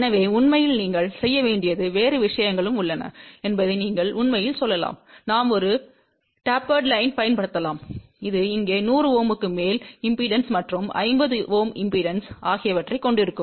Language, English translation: Tamil, So in fact, you can actually just you tell you also there are other things also to be done; something like we can also use a tapered line which will have an impedance of 100 Ohm over here and the impedance of 50 Ohm here